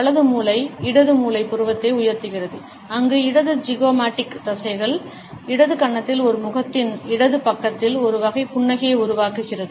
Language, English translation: Tamil, The right brain rises the left side eyebrow, where left zygomaticus muscles and the left cheek to produce one type of smile on the left side of a face